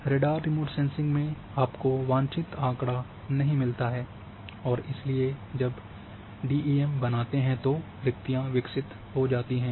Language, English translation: Hindi, In radar radar remote sensing you do not get a desired data and therefore when DEM was created it developed voids